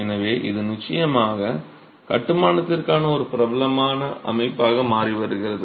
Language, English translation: Tamil, So, this is definitely becoming a popular system for construction